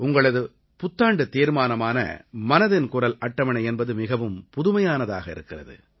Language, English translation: Tamil, The Mann Ki Baat Charter in connection with your New Year resolution is very innovative